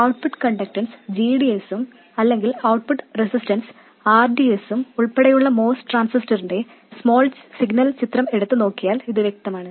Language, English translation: Malayalam, And this is any way obvious if you look at the small signal picture of the most transistor, including the output conductance GDS or output resistance RDS